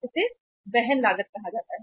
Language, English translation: Hindi, This is called as the carrying cost